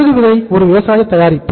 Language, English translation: Tamil, Mustard seed is a agricultural product